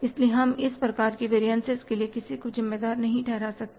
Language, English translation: Hindi, So, we will have to hold nobody responsible for this kind of variance